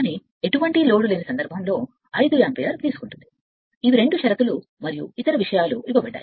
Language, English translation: Telugu, But at no load it is taking 5 ampere, 2 conditions and other things are given right